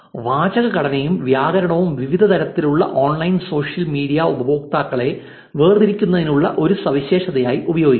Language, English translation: Malayalam, The sentence structure and grammar can be used as a feature to differentiate between different kinds of online social media users